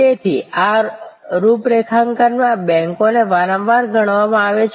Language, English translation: Gujarati, So, banks are often considered in this configuration